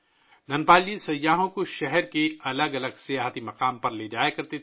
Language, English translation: Urdu, Dhanpal ji used to take tourists to various tourist places of the city